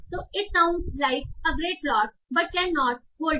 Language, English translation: Hindi, So, like, it sounds like a great plot but cannot hold up